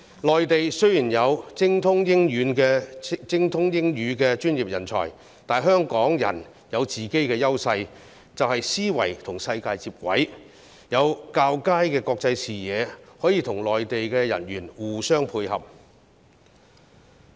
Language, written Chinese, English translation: Cantonese, 內地雖然有精通英語的專業人才，但香港人有本身的優勢，即思維與世界接軌，有較佳的國際視野，可以與內地的人員互相配合。, The Mainland has professionals who are proficient in English but Hong Kong people have their own advantages namely having a global mindset and international perspective . We and people on the Mainland can therefore support each other